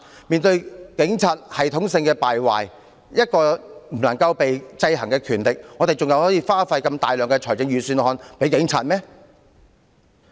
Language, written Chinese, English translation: Cantonese, 面對警察系統性敗壞，一個不能受制衡的權力，我們還要在預算案中分撥如此大量款項給警務處？, When the Police system is corrupted and we cannot keep the Police power in check why should we still set aside such a large amount of money from the Budget for HKPF?